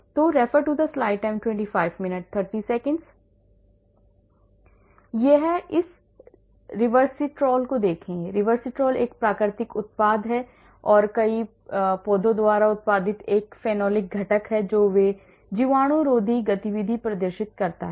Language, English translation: Hindi, So, look at this Resveratrol, Resveratrol is a natural product and is a phenolic component produced by several plants and they exhibit antibacterial activity